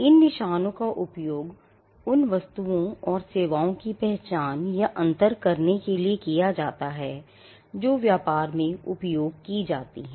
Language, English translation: Hindi, These marks are used to identify or distinguish goods and services that are used in business